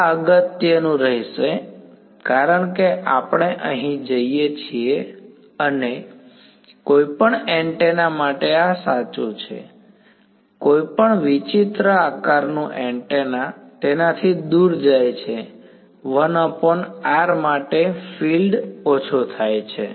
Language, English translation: Gujarati, This will be important as we go here and this is true for any antenna any weird shaped antenna go far away from it the fields are going for fall of has 1 by r